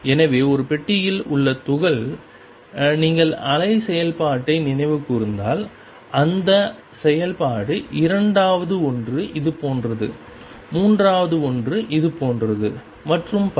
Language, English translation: Tamil, So, in the particle in a box if you recall wave function is this function second one is like this, third one is like this and so on